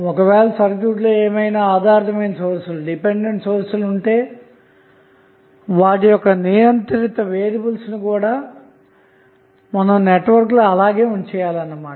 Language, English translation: Telugu, That means if there is a dependent source in the circuit, the variable should also be in the same circuit